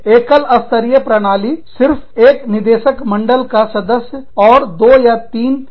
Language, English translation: Hindi, The single tier system, only one board of directors, and employees have, one or two